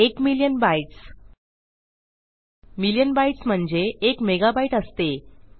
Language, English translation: Marathi, So weve got a million megabyte of data here